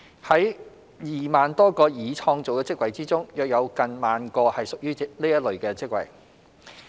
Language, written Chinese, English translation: Cantonese, 在2萬多個已創造的職位中，約有近萬個是屬於這類別的職位。, Among the some more than 20 000 jobs already created nearly 10 000 belong to this type of positions